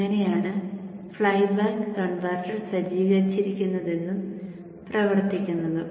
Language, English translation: Malayalam, So this is the this is how the flyback converter is set up and will operate